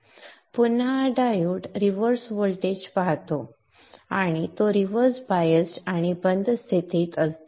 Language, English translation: Marathi, Again this diode sees a reverse voltage and it is reversed biased and in the off situation